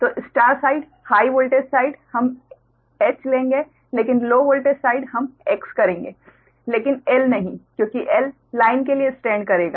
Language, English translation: Hindi, so star, high voltage side, we will take h, but low voltage side, we will take x, but not l, because l will stand for line right